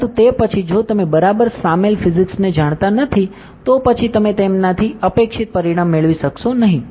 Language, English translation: Gujarati, But then if you do not know the physics that is involved exactly, then you not be able to get the expected result out of it